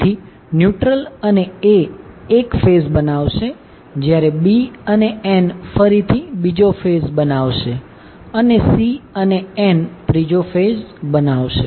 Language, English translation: Gujarati, So, neutral and A will create 1 phase B and N will again create another phase and C and N will create, create another phase